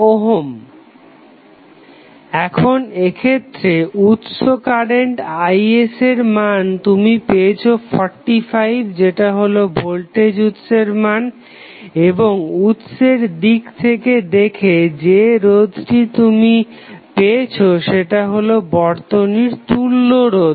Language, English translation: Bengali, Now, in this case what value of Is that is source current you have got 45 is the value of voltage source and the resistance which you have got seen by the source from this site that is equivalent resistance of the circuit